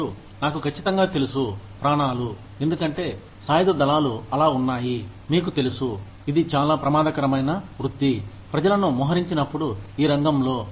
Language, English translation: Telugu, And, I know for sure, that the survivors, because the armed forces is so, you know, it is such a dangerous profession, when people are deployed, in the field